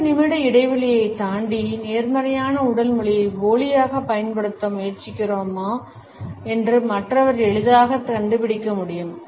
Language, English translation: Tamil, Beyond a space of 2 minutes the other person can easily find out if we are trying to fake a positive body language